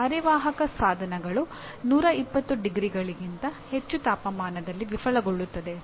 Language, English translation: Kannada, Semiconductor devices fail above 120 degrees